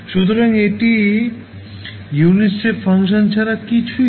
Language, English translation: Bengali, So, this is nothing but a unit step function